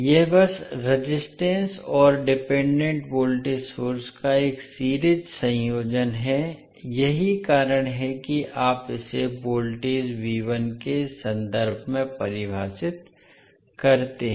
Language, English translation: Hindi, So this is simply a series combination of the resistor and the dependent voltage source that is why you define it in terms of voltage V1